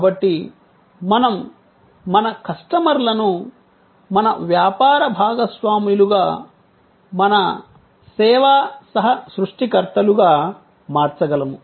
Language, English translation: Telugu, So, that we can convert our customers into our business partners, our service co creators